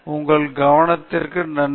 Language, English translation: Tamil, Thanks for your attention